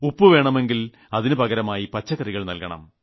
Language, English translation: Malayalam, If you wanted salt, you could give vegetables in exchange